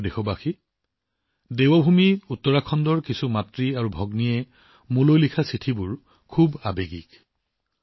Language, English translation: Assamese, My dear countrymen, the letters written by some mothers and sisters of Devbhoomi Uttarakhand to me are touchingly heartwarming